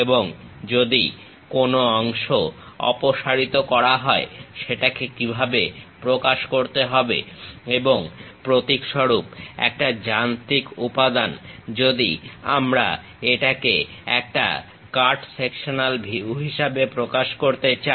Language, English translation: Bengali, And, if any part is removed how to represent that and a typical machine element; if we would like to represent it a cut sectional view how to represent that